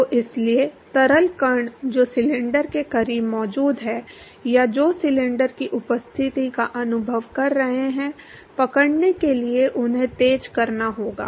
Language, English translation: Hindi, So, therefore, the fluid particles which is present close to the cylinder or which is experiencing the presence of the cylinder; they have to accelerate in order to catch up